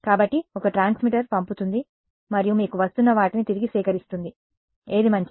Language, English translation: Telugu, So, one transmitter sends and you collect back what is coming to you which is better